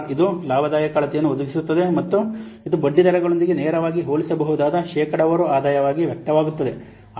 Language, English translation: Kannada, IRR, it provides a profitability measure and it expressed as a percentage return that is directly comparable with interest rates